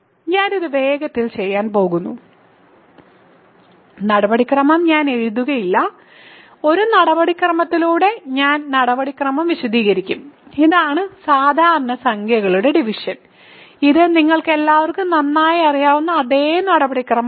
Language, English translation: Malayalam, So, I am going to quickly do this I will not write the formal procedure, I will just explain the procedure by an example, this is the usual division of numbers it is a same procedure that you all know for very well